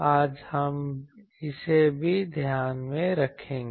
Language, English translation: Hindi, Today we will take that also into account